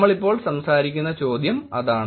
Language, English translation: Malayalam, That is the question that we will be talking about right now